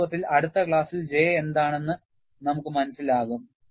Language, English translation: Malayalam, In fact, in the next class, we would understand what is J